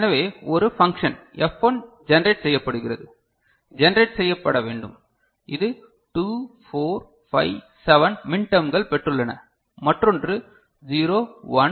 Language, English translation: Tamil, So, one function F1 is getting generated, is to be generated which has got min terms 2, 4, 5, 7 another one 0, 1, 2, 4, 6 ok